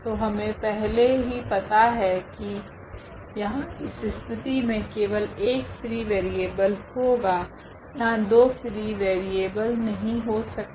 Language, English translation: Hindi, So, we know in advance that there will be only one free variable in this case, there cannot be two free variables